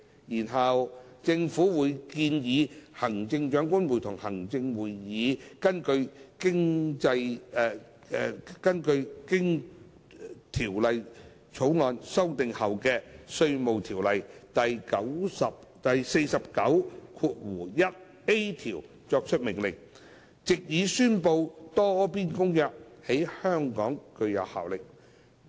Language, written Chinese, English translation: Cantonese, 然後，政府會建議行政長官會同行政會議根據經《條例草案》修訂後的《稅務條例》第49條作出命令，藉以宣布《多邊公約》在香港具有效力。, After that the Government will recommend the Chief Executive in Council to make an order under section 491A of IRO to declare that the Multilateral Convention shall have effect in Hong Kong